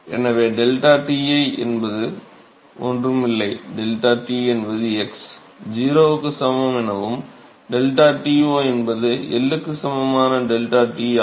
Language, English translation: Tamil, So, deltaTi is nothing, but deltaT at x equal to 0 and deltaT0 is deltaT at x equal to L